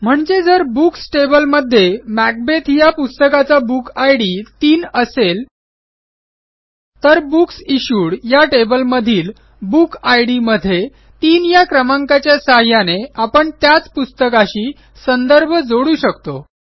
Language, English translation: Marathi, So if the book, Macbeth, has its Book Id as 3 in the Books table, Then by using 3 in the Book Id of the Books Issued table, we will still be referring to the same book